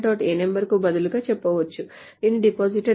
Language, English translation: Telugu, So you can say instead of depositor